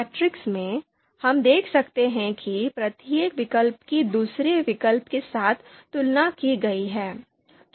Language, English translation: Hindi, So in the matrix, we can see that each alternative has been compared with the other alternative